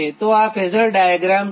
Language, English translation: Gujarati, so this is the phasor diagram